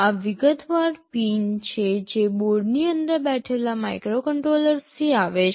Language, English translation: Gujarati, These are the detailed pins that are coming from the microcontroller sitting inside the board